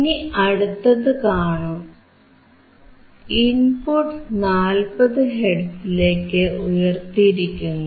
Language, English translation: Malayalam, Here you can see the next one is increasing to 40 hertz